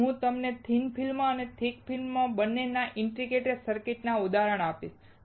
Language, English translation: Gujarati, And I will give you an example of both thin film and thick film integrated circuits